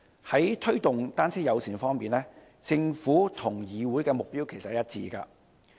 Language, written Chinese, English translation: Cantonese, 在推動單車友善方面，政府和議會的目標其實是一致的。, On promoting a bicycle - friendly environment the Government and the Council actually share the same goal